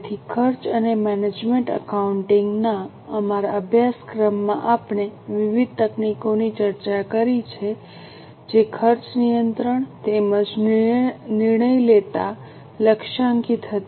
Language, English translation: Gujarati, So far in our course in cost and management accounting we have discussed various techniques which were targeted at cost control as well as decision making